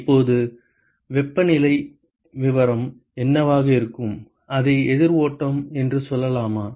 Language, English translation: Tamil, Now, what will be the temperature profile, let us say it is a counter flow